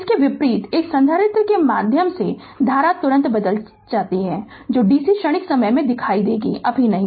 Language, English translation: Hindi, Conversely, the current through a capacitor can change instantaneously that will see in the dc transient time right not now